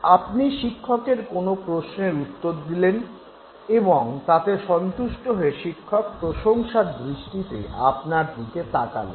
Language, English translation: Bengali, You answer a question asked by a teacher in the class and the teacher looks at you with admiration